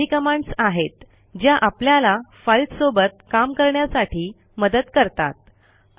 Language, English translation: Marathi, These were some of the commands that help us to work with files